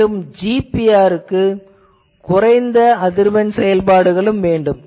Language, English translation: Tamil, Then also GPR wants low frequency operation, because it needs to penetrate the ground